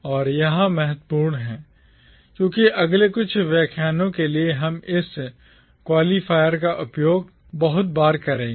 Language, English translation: Hindi, And, this is important because for the next few lectures we will be using this qualifier very often